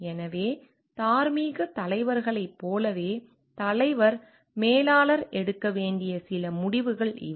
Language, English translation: Tamil, So, these are certain decisions that the leader manager in terms of like moral leaders need to take